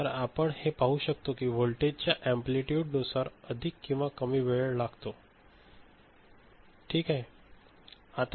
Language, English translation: Marathi, So, this is what we can see from here, depending on the amplitude of the voltage right, it takes more or less time ok, with respect to one another, right